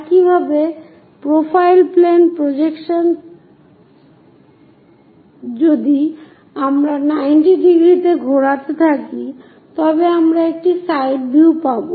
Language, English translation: Bengali, Similarly, the profile plane projection if we are going torotate it 90 degrees, we will get a side view